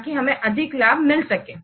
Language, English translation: Hindi, So that will bring more profit